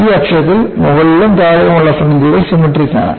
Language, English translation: Malayalam, About this axis, the fringes in the top and at the bottom are symmetrical